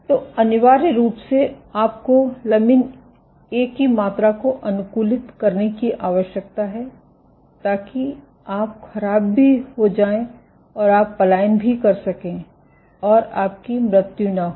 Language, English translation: Hindi, So, essentially you need to optimize the amount of lamin A, so that you are also deformable and you can also migrate and you don’t die